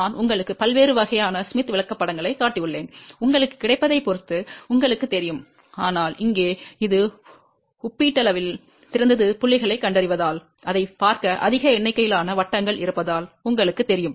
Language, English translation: Tamil, I have shown you different different types of Smith Charts so that you know depending upon what is available to you, but this one here is relatively better to you know look at because locate the points because it has a much larger number of circles